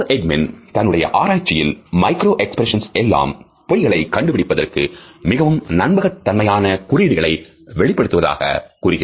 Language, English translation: Tamil, In his research Paul Ekman has claimed that micro expressions are perhaps the most promising cues for detecting a lie